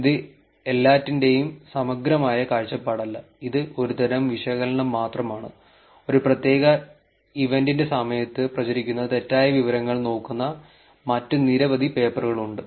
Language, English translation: Malayalam, And this is just not comprehensive view of everything, it is just only one type of analysis, there have been many other papers which are looking at misinformation spread during a particular event